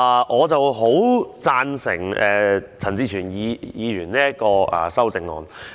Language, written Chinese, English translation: Cantonese, 我很贊成陳志全議員這項修正案。, I support the amendment proposed by Mr CHAN Chi - chuen